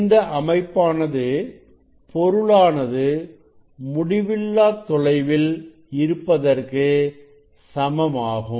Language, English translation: Tamil, it is an equivalent to that object is at infinite distance